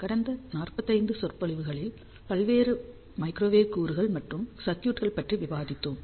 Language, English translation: Tamil, Hello, in the last 45 lectures, we have talked about various microwave components and circuits